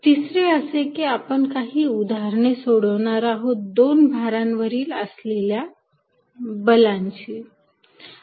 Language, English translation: Marathi, Third, then we are going to solve some examples for forces between two charges